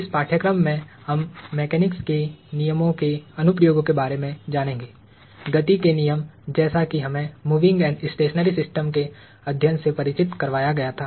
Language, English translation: Hindi, In this course, we are going to learn the applications of the laws of mechanics, the laws of motion as we were introduced to, to studying moving and stationary systems